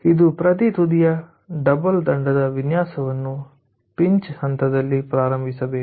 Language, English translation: Kannada, so design of each end should start at the pinch point